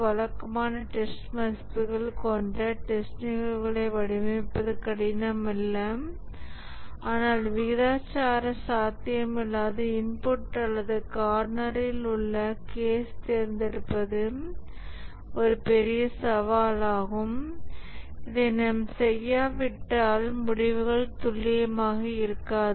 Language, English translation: Tamil, Designing the test cases that are rather usual test values is not difficult, but selecting a proportionate unlikely input or the corner cases is a big challenge and if you don't do this, the results won't be accurate